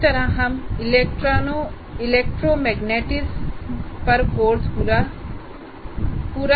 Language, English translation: Hindi, This is complete course on electromagnetism